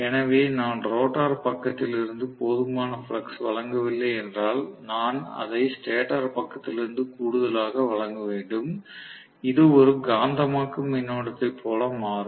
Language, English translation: Tamil, So, if I do not provide enough flux from the rotor side, I have to supplement it from the stator side, which becomes like a magnetising current